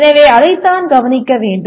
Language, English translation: Tamil, So that is what should be noted